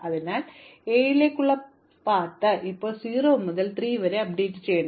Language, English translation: Malayalam, So, the path to 7 must now be updated from 0 to 3